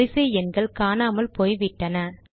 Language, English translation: Tamil, Serial numbers have disappeared